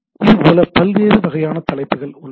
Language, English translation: Tamil, Like here are different types of headings